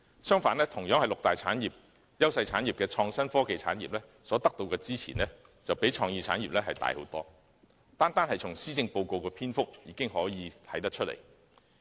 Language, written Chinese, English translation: Cantonese, 相反，同屬六大優勢產業的創新科技產業，所得到的支援較創意產業獲得的支援大得多，單從施政報告的篇幅已可見一斑。, On the contrary the innovation and technology industry also one of the six major industries where Hong Kong enjoys an edge receives far more support than the creative industries . This is evident in the treatment accorded in the Policy Address